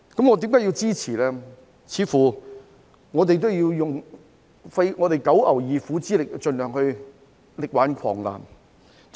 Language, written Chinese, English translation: Cantonese, 我們似乎要用九牛二虎之力盡量力挽狂瀾。, It seems that we have to exert enormous efforts to save the desperate crisis